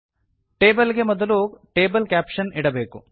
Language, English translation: Kannada, Table caption is put before the table